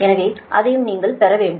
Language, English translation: Tamil, so that also you have to, you have to get it